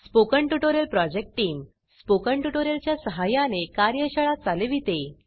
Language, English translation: Marathi, The Spoken Tutorial project team conduct workshops using Spoken Tutorials